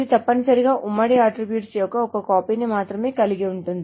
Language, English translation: Telugu, It essentially has the common attribute only one copy of the common attribute